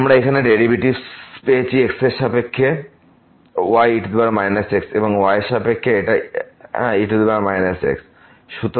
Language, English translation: Bengali, We got the derivatives here with respect to was minus power minus and with respect to it was power minus